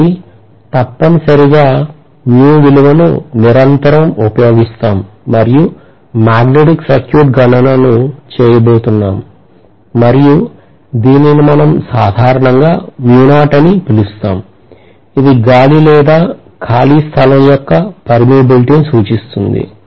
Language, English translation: Telugu, So we are going to have essentially the magnetic circuit calculation continuously encountering this mu value and we call this as mu naught normally, indicating that it is essential the permeability of air or free space